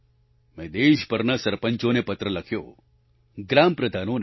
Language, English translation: Gujarati, I wrote a letter to the Sarpanchs and Gram Pradhans across the country